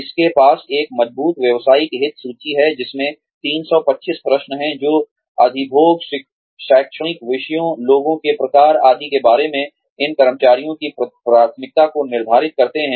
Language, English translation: Hindi, It has a strong vocational interest inventory, which has 325 questions, that determine the preference, of these employees, about occupations, academic subjects, types of people, etcetera